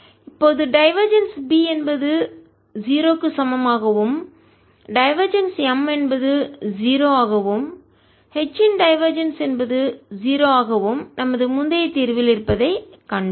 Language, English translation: Tamil, now we have seen that divergence of b equal to zero, divergence of m is also zero and divergence of h is zero